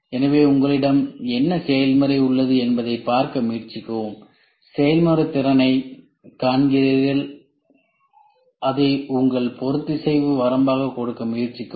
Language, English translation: Tamil, So, try to see what process you have and you see the process capability and try to give that as your tolerance limit